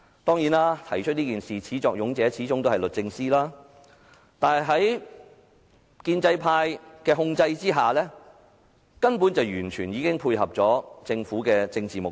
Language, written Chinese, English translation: Cantonese, 當然，提出這項議案的始作俑者是律政司，但在建制派控制下，本會根本已完全配合了政府的政治目的。, True DoJ is the culprit behind this motion but the Council is actually working with the Government under the control of the pro - establishment camp to achieve its political intent